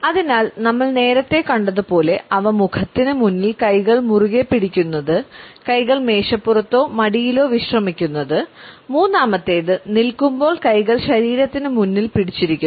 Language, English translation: Malayalam, Hence as we have seen earlier clenched in front of the face, hands clenched resting on the desk or on the lap and while standing hands clenched in front of the body